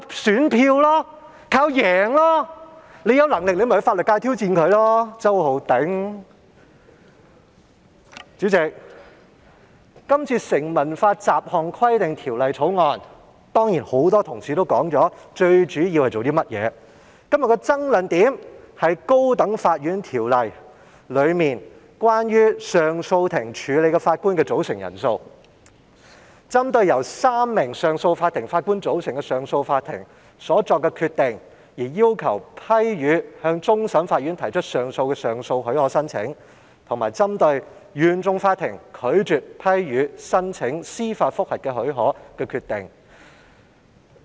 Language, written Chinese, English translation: Cantonese, 主席，今天討論的《2019年成文法條例草案》，很多同事也提到它的主要功用，而今天的爭論點便是在《高等法院條例》中有關上訴法庭處理的法官組成人數，以裁定相關案件。即針對由少於3名上訴法庭法官組成的上訴法庭所作的決定，而要求批予向終審法院提出上訴的上訴許可申請，以及針對原訟法庭拒絕批予申請司法覆核的許可的決定。, As regards the Statute Law Bill 2019 the Bill which we discuss today President many Members have also mentioned its main purpose and todays bone of contention is the number of judges of the Court of Appeal CA constituting a bench to determine cases of appeal under the High Court Ordinance HCO that is applications for leave to appeal to the Court of Final Appeal against the decisions made by CA consisting of less than three Justices of Appeal and appeals against the Court of First Instances decisions to refuse to grant leave to apply for judicial review